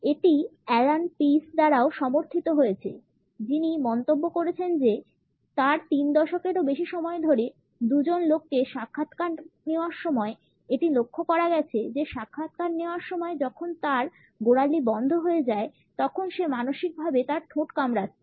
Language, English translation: Bengali, It has been supported by Allan Pease also who has commented that, in his more than three decades of interviewing and selling two people, it has been noted that when it interviewing locks his ankle he is mentally biting his lips